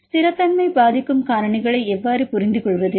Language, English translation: Tamil, How to understand the factors which influence the stability